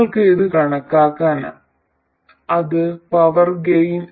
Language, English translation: Malayalam, You can calculate this, this is the power gain